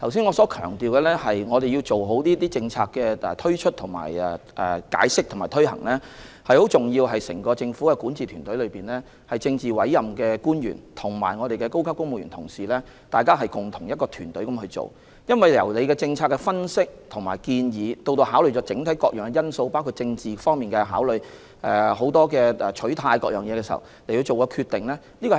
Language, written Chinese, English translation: Cantonese, 我剛才強調必須好好解釋和推行政策，這點很重要，整支管治團隊內的政治委任官員及高級公務員，同心協力進行工作，對政策進行分析和提出建議，並考慮各項因素，包括政治因素和取態等，然後作出決定。, I have just stressed the important of explaining and implementing policies . This is very important indeed . The politically appointed officials and senior civil servants in the entire governing team work hand in hand; they analyse and make recommendations on policies and make decisions having considered various factors including political factors and attitudes